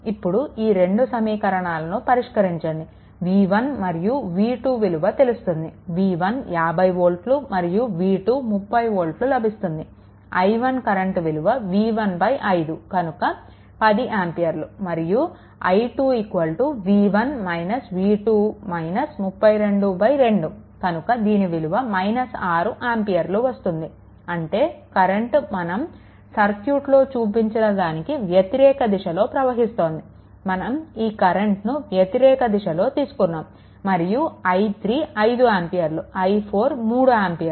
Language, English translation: Telugu, So, we solve i 1 10 ampere, i 2 v 1 minus v 2 minus 32 by 2 so, it is i 2 is equal to minus 6 ampere; that means, current is actually flowing in other direction whatever direction shown in the circuit, it is shown in the other direction then i 3 is equal to 5 ampere and i 4 is equal to 3 ampere right